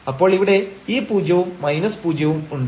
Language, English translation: Malayalam, So, we have this 0 minus 0